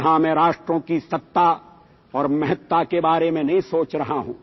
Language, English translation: Hindi, " Here I am not thinking about the supremacy and prominence of nations